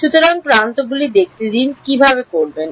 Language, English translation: Bengali, So, edges let us see how to do